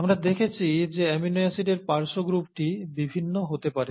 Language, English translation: Bengali, We all saw that the amino acid, the side groups of the amino acids could be so different